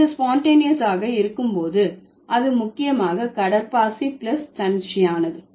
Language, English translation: Tamil, So, when it is sponge tannious, it is mainly sponge plus spontaneous